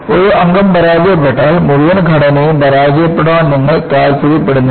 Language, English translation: Malayalam, You do not want to have a structure to fail, if one member fails